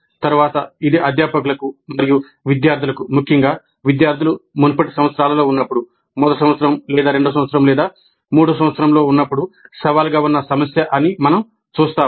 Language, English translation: Telugu, Later we will see that this is particularly a challenging issue both for faculty as well as our students, particularly when these students are in the earlier years, first year or second year or third year